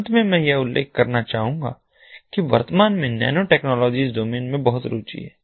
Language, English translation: Hindi, and finally, i would like to mention that at present there is lot of interest in the nanotechnology domain